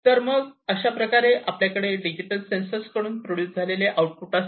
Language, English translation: Marathi, So, we have then this output produced from these digital sensors in this manner right